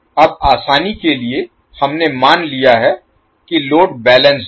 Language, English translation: Hindi, Now for simplicity we have assumed that the load is balanced